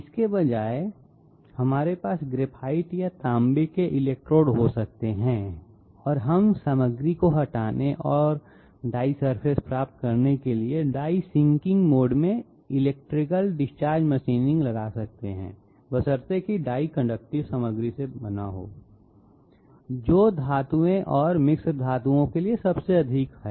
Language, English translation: Hindi, Instead of that, we can have graphite or copper electrodes and we can apply electrical discharge machining in the die sinking mode to remove material and get the die surface I mean die shape provided the die is made of conductive material, which is most commonly so for metals and alloys